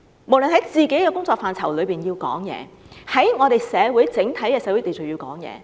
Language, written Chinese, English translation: Cantonese, 無論就本身的工作範疇，或就整體的社會秩序，都要發聲。, Irrespective of their own portfolios they ought to make their voices heard regarding the general social order